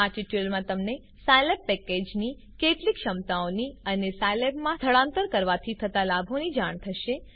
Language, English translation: Gujarati, In this tutorial you will come to know some of the capabilities of the Scilab package and benefits of shifting to Scilab